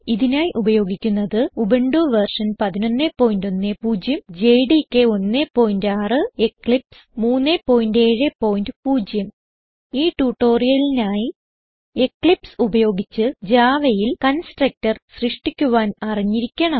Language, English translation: Malayalam, Here we are using Ubuntu version 11.10 jdk 1.6 Eclipse 3.7.0 To follow this tutorial you must know how to create a constructor in java using eclipse